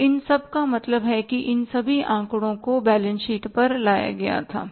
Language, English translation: Hindi, So, that total means all those figures were brought down to the balance sheet